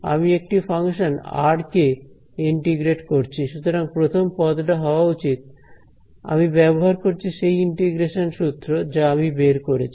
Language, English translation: Bengali, I am integrating a function r so, first term should be I am using that the integration formula which I had derived